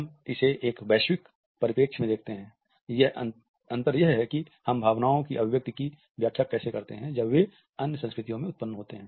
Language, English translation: Hindi, We look at this from a global perspective, the differences in how we interpret the expression of emotions when they originate in other cultures